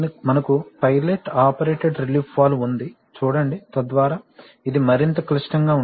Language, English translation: Telugu, Then we have a pilot operated relief valve, see, so that is more complex